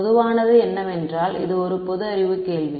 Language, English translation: Tamil, What is a common this is a common sense question